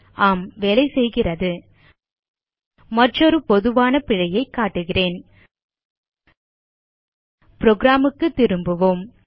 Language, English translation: Tamil, I will show you another common error Let us switch back to the program